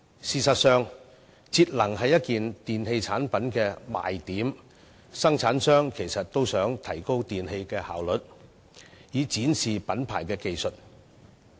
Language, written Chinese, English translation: Cantonese, 事實上，節能是一件電器的賣點，生產商也致力提升電器的效率，以展示品牌技術。, In fact energy saving is a selling point of an electrical appliance . Manufactures have striven to enhance the energy efficiency of their products as a means of showcasing their brands technologies